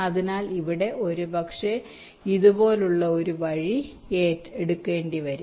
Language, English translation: Malayalam, so here possibly will have to take a route like this